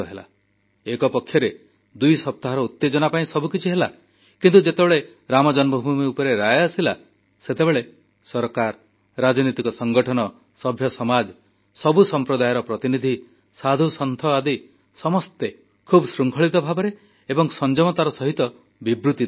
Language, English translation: Odia, On the one hand, the machinations went on to generate tension for week or two, but, when the decision was taken on Ram Janmabhoomi, the government, political parties, social organizations, civil society, representatives of all sects and saints gave restrained and balanced statements